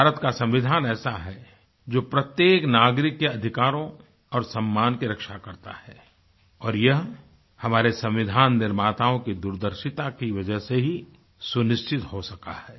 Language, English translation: Hindi, Our constitution guards the rights and dignity of every citizen which has been ensured owing to the farsightedness of the architects of our constitution